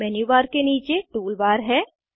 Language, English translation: Hindi, Below the Menu bar there is a Tool bar